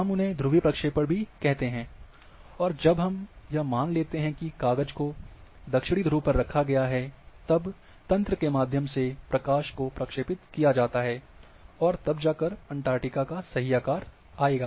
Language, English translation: Hindi, We also call them polar projections, and when we assume that the sheet is kept at the say southern poles, and when the light is projected through the grid, then the true shape of Antarctica will come